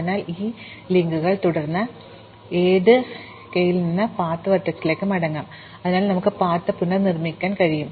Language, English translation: Malayalam, So, by just following these links back, we can go back from any k to the start vertex and therefore, we can reconstruct the path